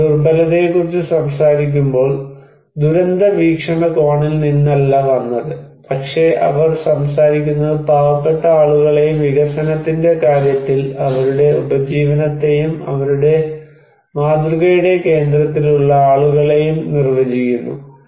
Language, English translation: Malayalam, When they are talking about vulnerability, it did not came from, did not come from the disaster perspective, but they are talking defining poor people and their livelihood in case of development and people at the center of their model